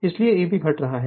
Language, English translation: Hindi, So, E b is decreasing